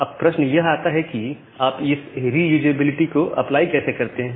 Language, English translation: Hindi, Now, the question comes that how will you apply this reusability